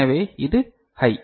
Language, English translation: Tamil, So, this is high